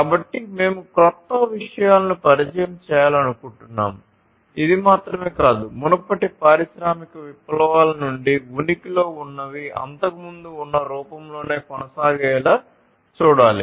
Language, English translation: Telugu, So, not only that we want to introduce newer things, but also we have to ensure that whatever has been existing from the previous industry revolutions continue and continue at least in the same form that it was before